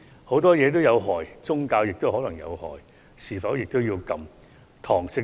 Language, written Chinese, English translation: Cantonese, 很多東西都有禍害，宗教也可能造成禍害，是否也要禁絕？, Many things are hazardous even religious belief can be hazardous but shall they be banned completely?